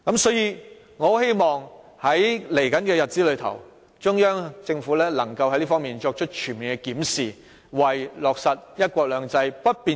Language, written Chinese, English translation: Cantonese, 所以，我希望在未來的日子，中央政府能在這方面作出全面檢視，為確保"一國兩制"不變形做好工作。, Hence in the coming days I hope that the Central Government will conduct a comprehensive review in this connection and make efforts to ensure that the implementation of one country two systems will not be deformed